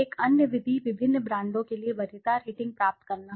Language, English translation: Hindi, Another method is to obtain preference rating for the various brands